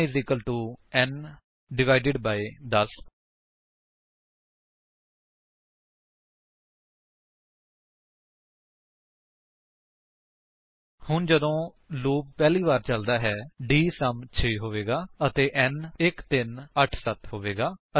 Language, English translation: Punjabi, n = n / 10 So when the loop is run for the first time, dSum will be 6 and n will become 1387